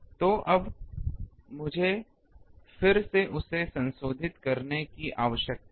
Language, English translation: Hindi, So, now, I need to then modify that